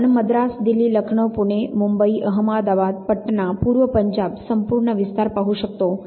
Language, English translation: Marathi, Again you see Madras, Delhi, Lucknow, Puna, Bombay, madabad, Patna, Lucknow, East Punjab whole lot of spread